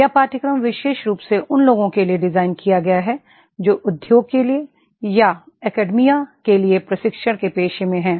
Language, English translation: Hindi, This course is designed especially for those who are in the profession of training either for the Industry or for the Academia